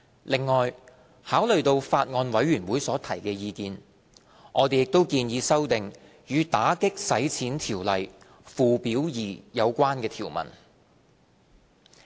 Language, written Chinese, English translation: Cantonese, 另外，考慮到法案委員會所提的意見，我們亦建議修訂與《打擊洗錢條例》附表2有關的條文。, Moreover considering the views expressed by the Bills Committee we also proposed to amend the relevant provisions in Schedule 2